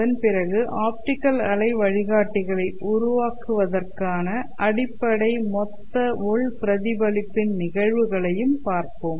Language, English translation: Tamil, We will look at the phenomenon of total internal reflection which forms the basis for constructing optical wave guides